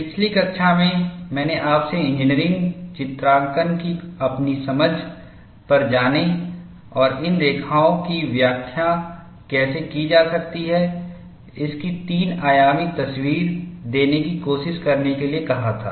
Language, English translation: Hindi, In the last class, I had asked you to go to your understanding of engineering drawing, and try to give, a three dimensional picture of how these lines can be interpreted